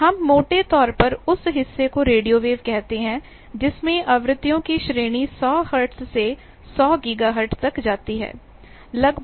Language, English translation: Hindi, We roughly call radio waves and a part of that particularly you can say 100 hertz, 100 gigahertz to roughly 100 megahertz that is called microwaves